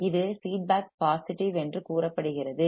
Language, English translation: Tamil, The feedback it is said to be positive